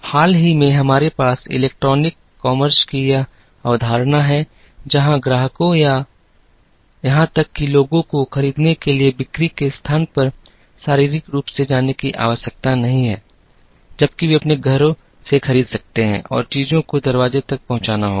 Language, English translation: Hindi, More recently, we have this concept of electronic commerce, where customers or even people need not go physically to the place of sale to buy, while they can buy from their own houses and things have to be delivered at the door step